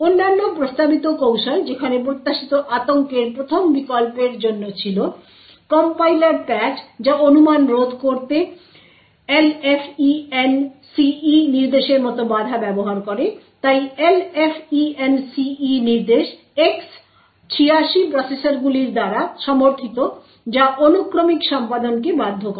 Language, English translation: Bengali, Other techniques where suggested for the Spectre first variant was compiler patches a which uses barriers such as the LFENCE instruction to prevent speculation so the LFENCE instruction is supported by X86 processors which forces sequential execution